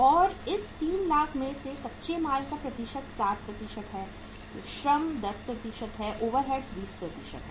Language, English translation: Hindi, And out of this 3 lakhs, the percentage of raw material is 60%, labour is 10%, overheads are 20%